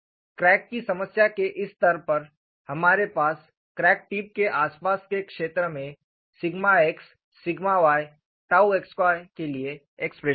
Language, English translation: Hindi, At this stage of the crack problem, we have the expressions for sigma x sigma y dou x y in the near vicinity of the crack tip